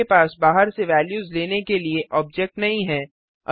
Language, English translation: Hindi, You cannot have objects taking values from out side